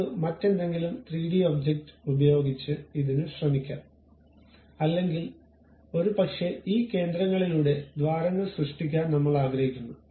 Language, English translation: Malayalam, So, let us try with some other 3D object or perhaps I would like to make holes through these centers